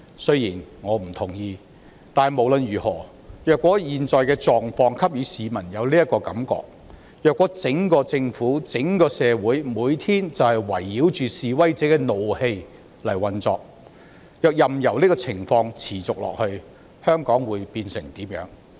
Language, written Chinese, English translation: Cantonese, 雖然我不同意這說法，但無論如何，若現在的狀況給予市民這種感覺，若整個政府、整個社會每天就是圍繞着示威者的怒氣運作，任由這情況持續下去，香港會變成怎麼樣？, Although I do not agree to this comment the current situation indeed gives people a sense of anarchy . If the daily operations of the whole Government and the whole society evolve around the protesters anger what will Hong Kong become if this situation continues?